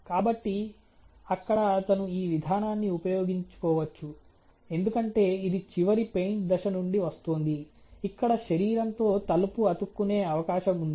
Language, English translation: Telugu, So, there he may have used this process ok, because it is coming from the last step of the paint step, last paint step where there is a possibility of sticking of the door with the body